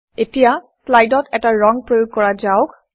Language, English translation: Assamese, Now, lets apply a color to the slide